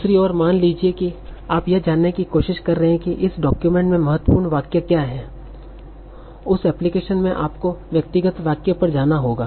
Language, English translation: Hindi, On the other hand, suppose you are trying to find out what are the important sentences in this document, in that application you will have to go to the individual sentence